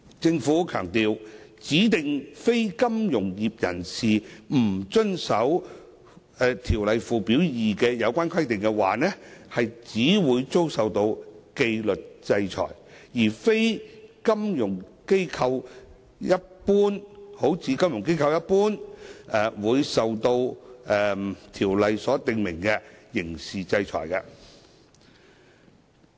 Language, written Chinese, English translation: Cantonese, 政府強調，如指定非金融業人士不遵守《條例》附表2的有關規定，只會遭受紀律制裁，而非如金融機構般會受到《條例》所訂明的刑事制裁。, The Government has stressed that non - compliances with the requirements in Schedule 2 to AMLO by DNFBPs would only result in disciplinary sanctions instead of the criminal sanctions under AMLO as in the case of non - compliances by FIs